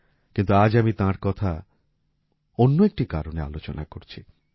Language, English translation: Bengali, But today I am discussing him for some other reason